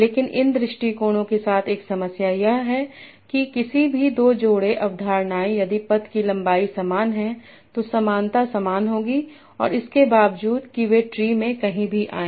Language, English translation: Hindi, But one problem with these approaches is that any two pairs of concepts, if the path length is same, the similarity will be the same, irrespective of wherever they occur in the tree